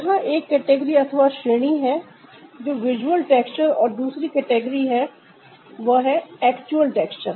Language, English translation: Hindi, so there is one category that is visual texture and the second category are the actual texture